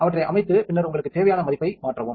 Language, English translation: Tamil, So, hold them set and then change the value that you need